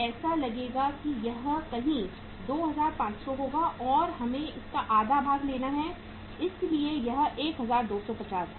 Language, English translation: Hindi, This will look like uh this will be somewhere uh 2500 and we have to take the half of it so it is 1250